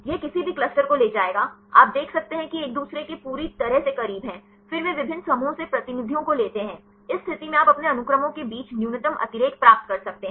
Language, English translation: Hindi, This would take any cluster, you can see there is completely close to each other then they take the representatives from different clusters; in this case you can get the minimum redundancy among your sequences